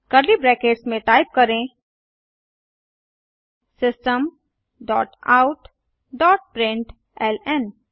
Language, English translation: Hindi, Within curly brackets type System dot out dot println